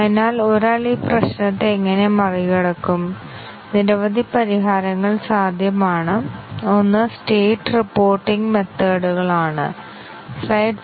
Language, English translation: Malayalam, So, how does one overcome this problem several solutions are possible, one is state reporting methods